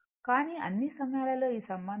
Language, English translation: Telugu, This relationship is always used